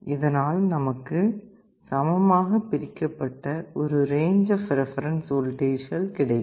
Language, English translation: Tamil, You see it provides a range of a reference voltages equally separated